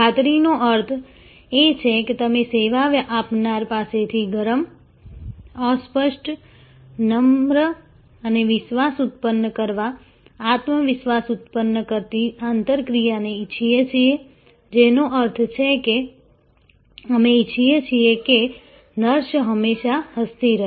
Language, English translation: Gujarati, Assurance means that we want warm, fuzzy, polite and trust generating, confidence generating interaction from the service provider, which means that we want always nurses should be smiling